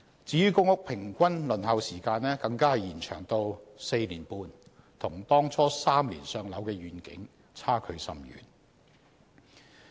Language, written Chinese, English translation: Cantonese, 至於公屋平均輪候時間更延長至 4.5 年，與當初 "3 年上樓"的願景差距甚遠。, In respect of the Waiting List for Public Rental Housing PRH the average waiting time is now 4.5 years which is a far cry from the ideal of three years in the beginning